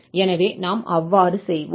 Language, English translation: Tamil, So, we will exactly do this